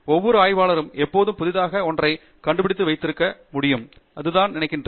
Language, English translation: Tamil, That every researcher forever can actually keep discovering something new; that is what I believe in